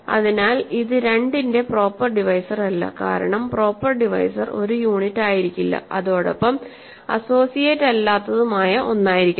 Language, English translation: Malayalam, So, it is not a proper divisor, right of 2, because a proper divisor is supposed to be something which is not a unit and which is not an associate